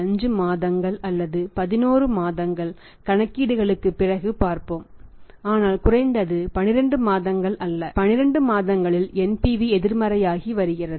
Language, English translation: Tamil, 5 months or 11 months let see after the calculations but not at least 12 months, in 12 months NPV is becoming negative